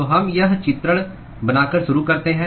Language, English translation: Hindi, So, we start by making this depiction